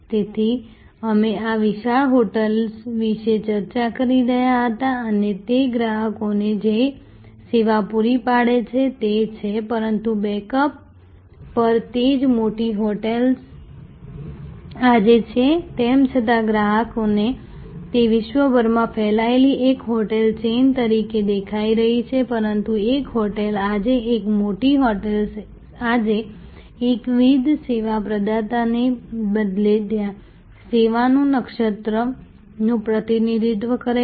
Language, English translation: Gujarati, So, we were discussing about this large hotel and the service it provides to it is customers, but at the backend the same large hotel is today even though to the customer it is appearing to be one hotel chain spread across the world, but a hotel today, a large hotel today represents a constellation of service rather than a monolithic service provider